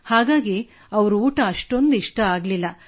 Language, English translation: Kannada, So they didn't like it much